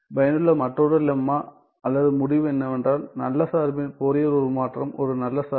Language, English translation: Tamil, Another lemma or result that is useful is, Fourier transform of good function is a good function right